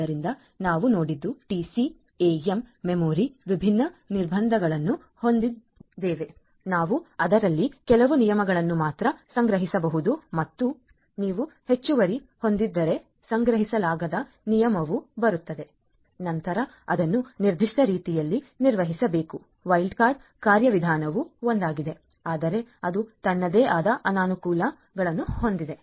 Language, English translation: Kannada, So, you we what we have seen is that TCAM memory has its own different constraints, we could only store few rules in it and if you have a additional rule coming in which cannot be stored, then it has to be handled in a certain way wild card mechanism is one, but then it has its own disadvantages